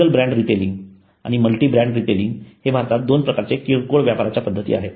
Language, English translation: Marathi, Single brand retailing and multi brand retailing are two types of retailing in India